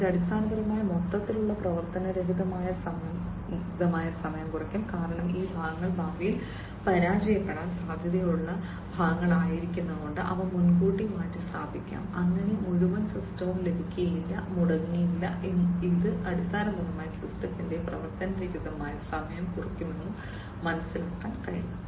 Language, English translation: Malayalam, And this basically will reduce the overall downtime, because these parts can be the, the parts which are likely to be failed in the future, they can be replaced beforehand, you know, so that the entire system does not get, you know does not get crippled and as we can understand that this basically will reduce the downtime of the system